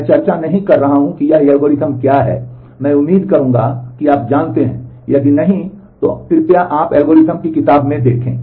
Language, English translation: Hindi, I am not discussing what these algorithms are I would expect that you know if you do not please look up in algorithms book